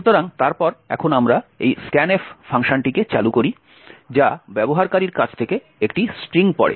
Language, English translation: Bengali, So, then now we invoke this scanf function which reads a string from the user